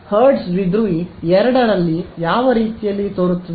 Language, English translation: Kannada, So, hertz dipole looks more like a which of the two does it look like